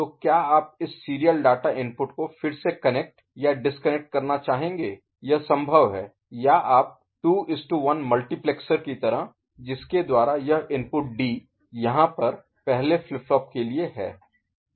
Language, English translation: Hindi, So, would you like to disconnect or again connect this serial data input that is possible or you can think of a you know 2 to 1 multiplexer kind of mechanism by which this input D over here for the first flip flop ok